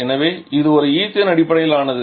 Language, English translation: Tamil, So, it is an ethane based 1